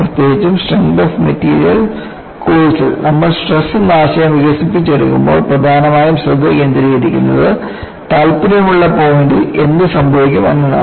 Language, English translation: Malayalam, And particularly, in a course instrength of materials, while you develop the concept of stress, the focus was mainly on what happens at a point of interest